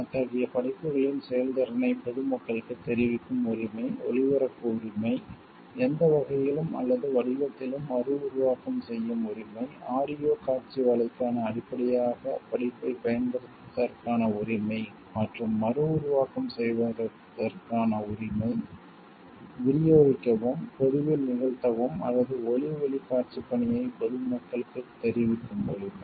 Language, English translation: Tamil, The right to communicate to the public the performance of such works, the right to broadcast, the right to make reproductions in any manner or form, the right to use the work as a basis for an audio visual work, and the right to reproduce distribute perform in public or communicate to the public that audio visual work